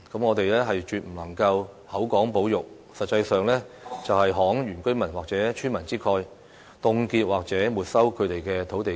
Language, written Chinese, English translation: Cantonese, 我們絕不能夠口講保育，實際上"慷原居民或村民之慨"，凍結或沒收他們的土地資產。, We must not give empty talks about conservation and actually compromise the interests of indigenous residents or villagers by freezing or taking away their land assets